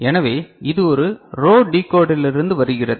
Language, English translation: Tamil, So, it is coming from a row decoder